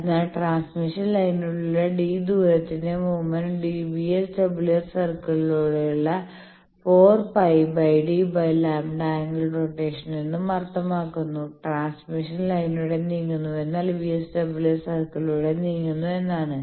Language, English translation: Malayalam, So, if you put that that movement of distance d along transmission line means a 4 pi d by lambda angle rotation along VSWR circle we have already seen that moving along transmission line same transmission line means moving along a VSWR circle